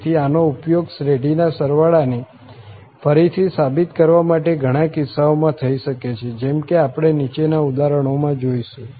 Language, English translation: Gujarati, So, this can be used in many cases to prove the sum of the series again as we will see in the examples below